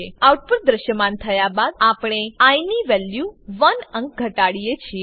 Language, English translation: Gujarati, After the output is displayed, we decrement the value of i by 1